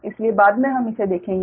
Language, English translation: Hindi, so next we will move to that